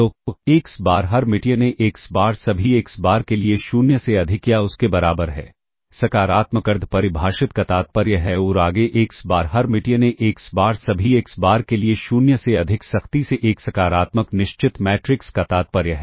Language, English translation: Hindi, So, xBar Hermitian AxBar greater than or equal to 0, for all xBar implies positive semi definite and further xBar Hermitian, AxBar strictly greater than 0 for all xBar implies the positive definite matrix